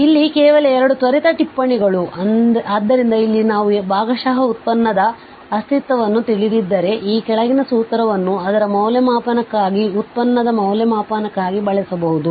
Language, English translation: Kannada, So, here just 2 quick notes, so here we have if the existence of the partial derivative is known, then the following formula can be used for its evaluation for evaluation of the derivative